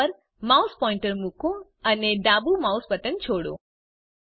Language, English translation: Gujarati, Place the mouse pointer on the menu and release the left mouse button